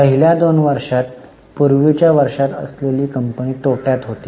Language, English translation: Marathi, In the first two years, the company that is in earlier years, the company was in loss